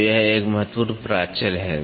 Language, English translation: Hindi, So, this is an important parameter